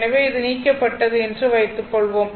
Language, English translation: Tamil, So, suppose this is you remove this is you remove